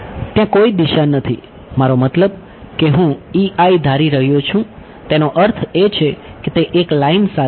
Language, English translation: Gujarati, There is no direction I mean I am assuming E I mean it is along a line